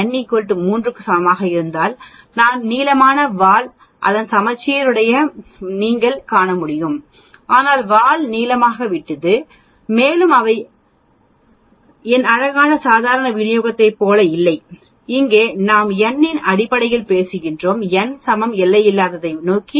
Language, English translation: Tamil, If n is equal to 3 data is still less as you can see its got a long tail its symmetric uniform but the tail has become longer and longer none of them look like my beautiful normal distribution were here we are talking in terms of n is equal to infinity